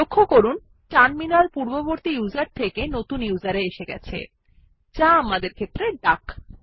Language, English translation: Bengali, Please notice that, the Terminal switches from the previous user to the new user, which is duck in our case